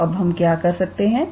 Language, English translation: Hindi, So, now, what we would do